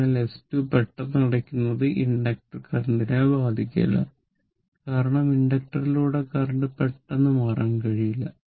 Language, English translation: Malayalam, So, sudden closing of S 2 does not affect the inductor current, because the current cannot change abruptly through the inductor